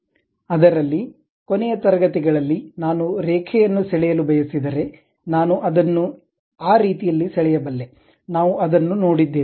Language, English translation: Kannada, In that, in the last classes, we have seen if I want to draw a line, I can draw it in that way